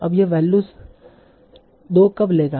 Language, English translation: Hindi, Now when will this take a value of 2